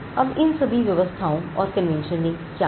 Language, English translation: Hindi, Now, what did all these arrangements or conventions do